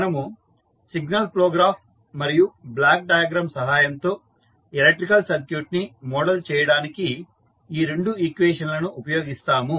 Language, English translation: Telugu, So, we will use these two equations to model the electrical circuit using signal flow graph and the block diagram